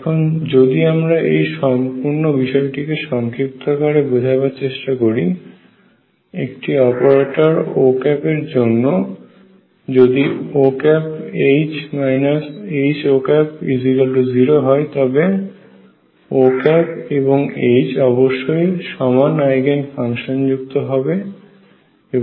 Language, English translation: Bengali, So, let us just summaries this by saying that if for an operator O, O H minus H O is 0 then H and O have the same Eigen functions